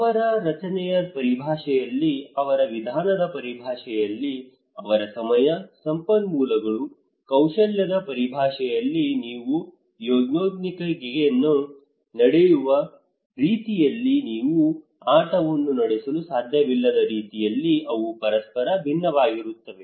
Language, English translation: Kannada, In terms of their structure, in terms of their method, in terms of their time, resources, skill, they vary from each other great extent the way you conduct Yonnmenkaigi you cannot conduct the game